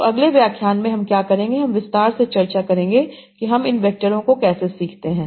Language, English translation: Hindi, So in the next lecture, what we will do we will discuss in detail how do we learn these vectors